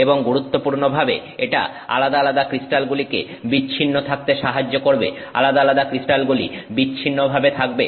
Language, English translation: Bengali, And importantly it helps isolate the individual crystals